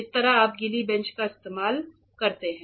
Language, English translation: Hindi, This is how you use a wet bench